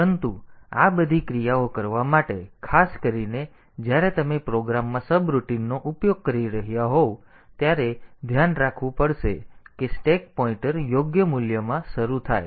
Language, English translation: Gujarati, But for doing all these operations, for particularly when you are using subroutines in a program, we have to be careful that the stack pointer is initialized to proper value